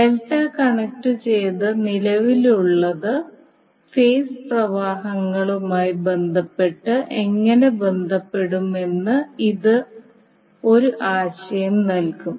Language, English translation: Malayalam, So this will give you an idea that how the current in case of delta connected will be having relationship with respect to the phase currents